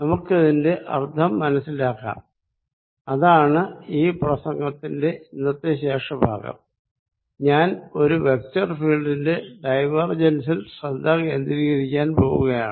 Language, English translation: Malayalam, Let us understand the meaning of these and that is what the rest of the lecture is going to be about today I am going to focus on divergence of a vector field